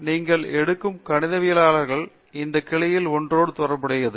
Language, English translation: Tamil, Any branch of mathematicians you take it is somewhere related to one of this